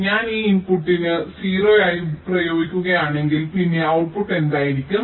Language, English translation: Malayalam, so if i apply a zero to this input, then what will be